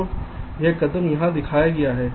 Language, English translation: Hindi, so this step is shown here